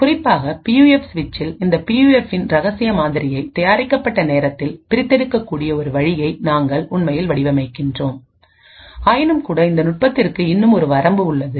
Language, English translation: Tamil, Now this works quite well, especially on PUF switch and we actually modelling such a way where the secret model of this PUF can be extracted at the manufactured time but nevertheless this technique still has a limitation